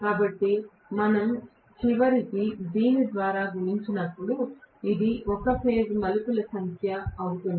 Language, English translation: Telugu, But we are, ultimately when we are multiplying by this, this will be the number of turns per phase